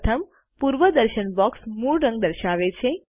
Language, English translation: Gujarati, The first preview box displays the original color